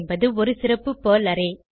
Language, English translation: Tamil, @ is a special Perl array